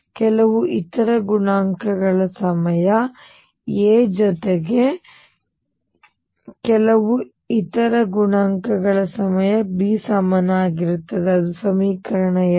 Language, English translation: Kannada, Some other coefficients times A plus some other coefficients times B is equal to 0; that is my equation 2